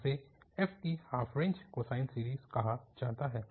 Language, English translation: Hindi, So, this is called half range cosine series